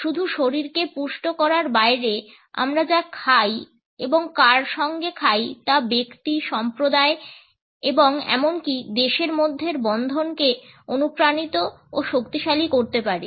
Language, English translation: Bengali, Beyond merely nourishing the body, what we eat and with whom we eat can inspire and strengthen the bonds between individuals, communities and even countries”